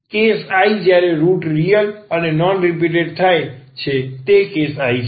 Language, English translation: Gujarati, The case I when the roots are real and non repeated that is the case I